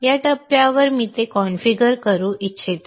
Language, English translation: Marathi, At this point I would like to configure it